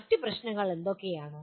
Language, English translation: Malayalam, What are the other issues